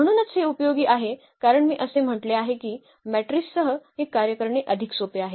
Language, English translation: Marathi, So, that is very useful as I said before this working with matrices are much easier